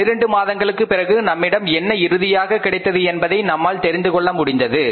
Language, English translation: Tamil, After 12 months we were able to know that what we have ended up with